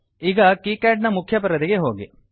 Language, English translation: Kannada, Now go to KiCad main window